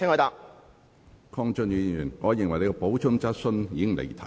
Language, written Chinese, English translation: Cantonese, 鄺俊宇議員，你的補充質詢已經離題。, Mr KWONG Chun - yu your supplementary question has digressed from the subject